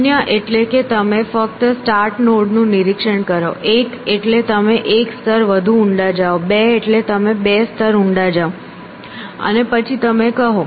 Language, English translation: Gujarati, means you just inspect the start node one means you go one level deeper two means go two steps deeper in that, and then you say